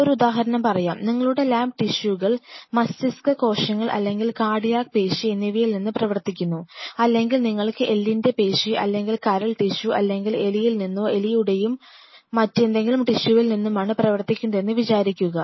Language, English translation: Malayalam, So, let us take an example say for example, your lab works on deriving tissues brain tissues or cardiac muscle or you know skeletal muscle or liver tissue or some other tissue from the rat or a mouse